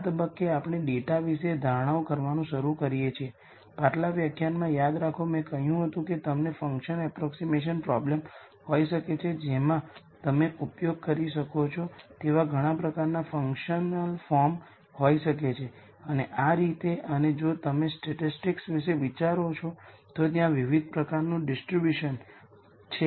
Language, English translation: Gujarati, At this point we start making assumptions about the data, remember in the previous lecture I said you could have a function approximation problem you could have many types of functional forms you can use and so on and if you think about statistics there are di erent types of distributions that you can assume the data follows